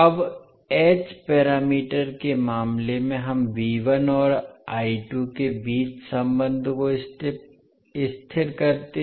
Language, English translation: Hindi, Now in case of h parameters we stabilize the relationship between V1 and I2